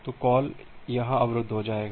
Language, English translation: Hindi, So, the call will be getting blocked here